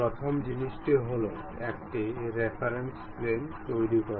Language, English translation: Bengali, First thing is constructing a reference plane